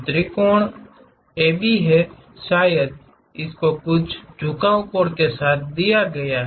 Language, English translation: Hindi, The triangle is AB perhaps someone is given with certain inclination angles